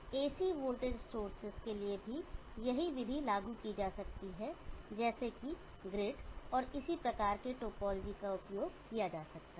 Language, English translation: Hindi, The same method can be applied even to AC voltage sources for example, the grid and similar type of topology can be used